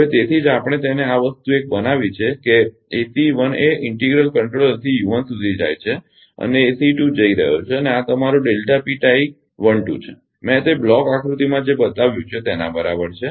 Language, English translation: Gujarati, So, that is why here we have made it that this thing your ah this one that ACE 1 going to the integral controller to u 1 and this is ACE 2 going to and this is your delta P tie 1 2 in what I have shown in that block diagram, right